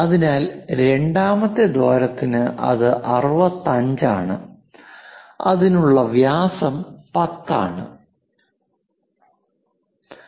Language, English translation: Malayalam, So, that is 65 for the second hole and the diameter is 10 for that